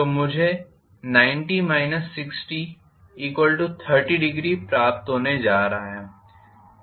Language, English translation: Hindi, So, I am going to get ninety minus 60 which is 30 degrees